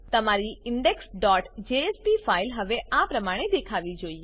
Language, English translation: Gujarati, Your index.jsp file should now look like this